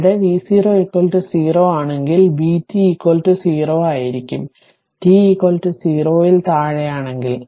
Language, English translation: Malayalam, If t 0 is equal to 0, then it will be v 0 right